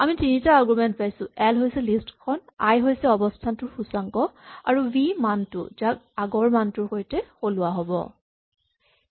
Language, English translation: Assamese, So I get three arguments, l is a list, and then i is the index of the position, and finally v is the value to be replaced